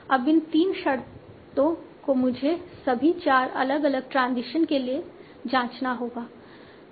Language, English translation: Hindi, Now these three conditions have to check for all the four different transitions